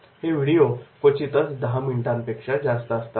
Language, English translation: Marathi, Video seldom run more than 10 minutes